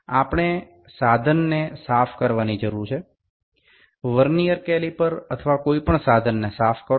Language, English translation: Gujarati, We need to clean the equipment, clean the Vernier caliper or any equipment